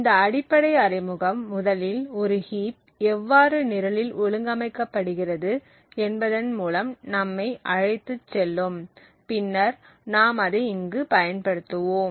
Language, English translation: Tamil, So, this very basic introduction to a heap exploit would first take us through how a heap is organized in the program and then we would actually use the exploit